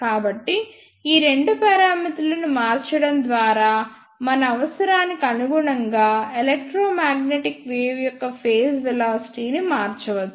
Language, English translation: Telugu, So, by varying these two parameters we can change the phase velocity of electromagnetic wave according to our requirement